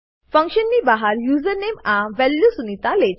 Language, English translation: Gujarati, Outside the function, username takes the value sunita